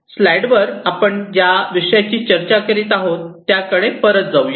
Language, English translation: Marathi, So, let us just go back to what we were discussing in the slides